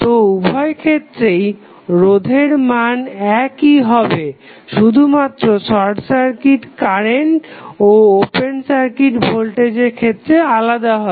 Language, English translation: Bengali, So, in both of the cases finding out the resistance will be same, change would be in case of finding out either the short circuit current or open circuit voltage